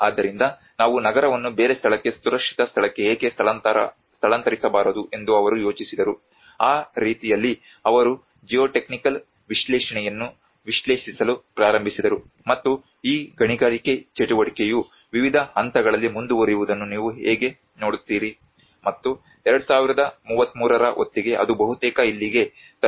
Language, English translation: Kannada, So then they thought why not we move the city into a different place a safe place so in that way they started analysing the geotechnical analysis have been done and they looked at how you see this mining activity keep on going in different stages and by 2033 it will almost reach here